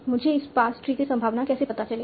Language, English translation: Hindi, How do I find the probability of this pass tree